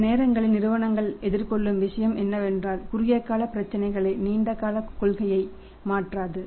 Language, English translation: Tamil, Sometime what happens firms face is that short term problems they do not change the policy as such for the long term